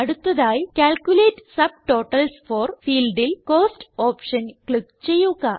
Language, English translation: Malayalam, Next, in the Calculate subtotals for field click on the Cost option